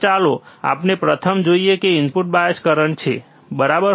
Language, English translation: Gujarati, So, let us see the first one which is input bias current, right